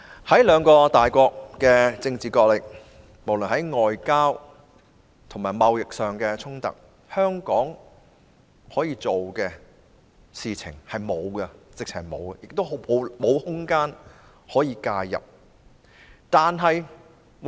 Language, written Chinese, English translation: Cantonese, 在兩個大國進行政治角力之際，無論是外交和貿易上的衝突，香港根本無法做任何事，亦沒有空間可以介入。, Amid the political wrangling between the two major powers Hong Kong can practically do nothing about the diplomatic and trade conflicts and there is no room for Hong Kong to intervene either